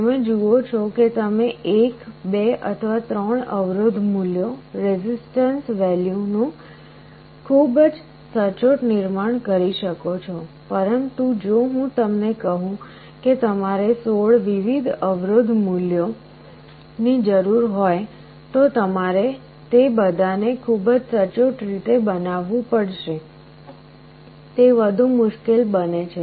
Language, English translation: Gujarati, You see you can very accurately manufacture 1, 2 or 3 resistance values, but if I tell you require 16 different resistance values, you have to manufacture all of them very accurately, it becomes that much more difficult